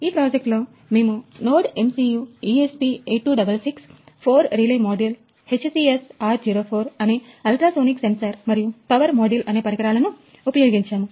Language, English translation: Telugu, We have used components which are NodeMCU ESP8266, four relay module, ultrasonic sensor that is HCSR04 and a power module